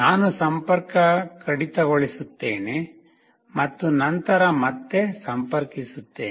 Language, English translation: Kannada, I will disconnect and then again connect